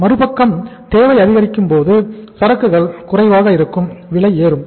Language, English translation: Tamil, Other side if the demand is increasing, inventory is low, prices are going up